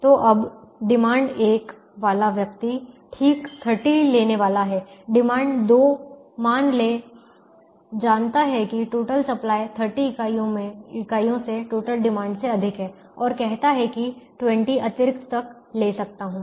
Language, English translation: Hindi, the demand two, let's assume, knows that the total supplied exceeds total demand by thirty units and says: up to twenty extra i can take